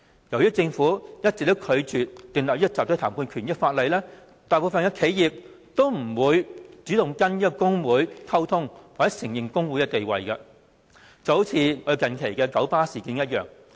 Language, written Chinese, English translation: Cantonese, 由於政府一直拒絕訂立集體談判權的法例，大部分企業也不會主動跟工會溝通或承認工會的地位，近期的九巴事件正是一例。, Since the Government has all along refused to legislate for the right to collective bargaining the majority of enterprises will not make proactive efforts in communicating with trade unions or recognize their status . The recent incident concerning Kowloon Motor Bus KMB is a case in point